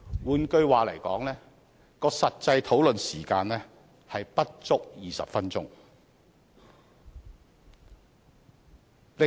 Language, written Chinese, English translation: Cantonese, 換言之，實際的討論時間不足20分鐘。, In other words less than 20 minutes were actually spent on the discussion